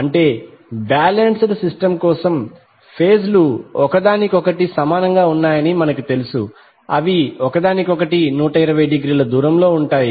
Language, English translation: Telugu, That means for a balanced system we generally know that the phases are equally upon equally distant with respect to each other that is 120 degree apart from each other